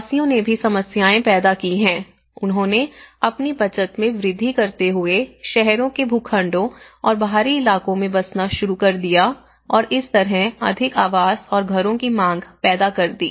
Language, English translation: Hindi, So, they also the migrants have also created problems, you know they started settling down on plots and outskirts of the towns increasing their savings and thus creating a demand for more housing and houses